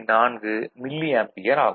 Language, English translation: Tamil, 4 milliampere, ok